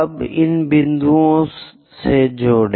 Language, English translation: Hindi, Now, join these points